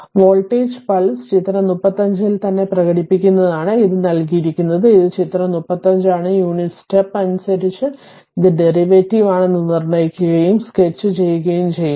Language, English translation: Malayalam, It is given that express the voltage pulse right in figure 35, this is figure 35, in terms of the unit step determines it is derivative and sketch it